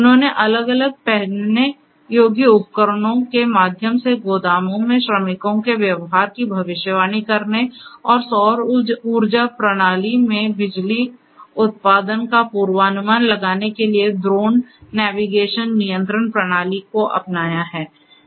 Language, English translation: Hindi, They adopted the drone navigation control system to find damage in power transmission lines, predicting behaviors of workers in the warehouses through different wearable devices, and forecasting power generation in a solar power system